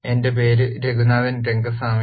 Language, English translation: Malayalam, My name is Raghunathan Rengaswamy